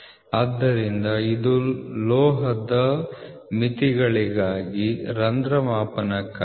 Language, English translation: Kannada, So, this is for a metal limits for hole gauging